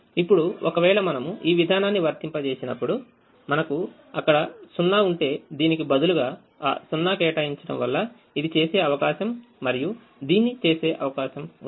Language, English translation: Telugu, now, when we apply this procedure and we see if we actually had a zero here instead of this one, allocating into that zero is going to take away the chance of doing this and doing this